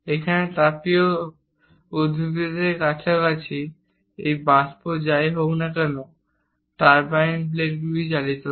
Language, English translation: Bengali, Here near thermal plants, whatever this steam which drives the turbine blades, again has to be condensed